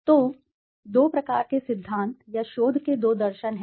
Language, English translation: Hindi, So, there are two types of theories or two philosophies of research